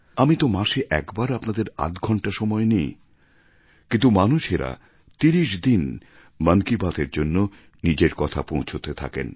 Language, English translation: Bengali, I just take half an hour of your time in a month but people keep sending suggestions, ideas and other material over Mann Ki Baat during all 30 days of the month